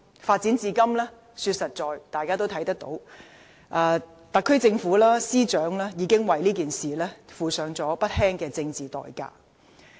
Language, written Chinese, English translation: Cantonese, 坦白說，事情發展至今，特區政府及司長已付上不輕的政治代價。, Frankly speaking the incident has already cost the SAR Government and the Secretary for Justice dearly in political terms